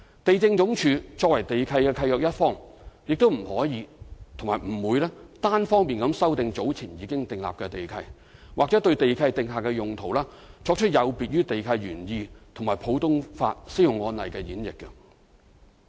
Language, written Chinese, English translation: Cantonese, 地政總署作為地契的契約一方，不可亦不會單方面修訂早前已訂立的地契，或對地契訂下的用途作出有別於地契原意和普通法適用案例的演繹。, As a party to these land leases the Lands Department cannot unilaterally amend land leases already established or make a different interpretation of the land use prescribed in the land leases other than the original meaning in the land leases or make an interpretation inconsistent with the applicable common law cases